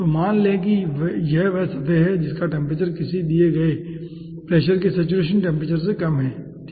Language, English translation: Hindi, so lets say this is the surface whose temperature is, ah lower than the saturation temperature of a given pressure